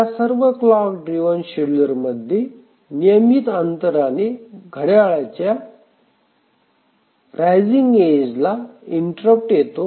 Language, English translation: Marathi, So, all these clock driven schedulers, the clock interrupt comes at regular intervals